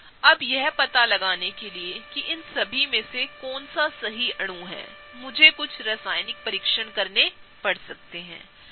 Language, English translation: Hindi, Now, in order to figure out which one is really the right molecule amongst all of these, I may have to do some chemical tests